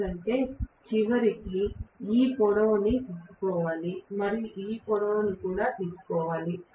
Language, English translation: Telugu, Because I have to eventually take this length and take this length as well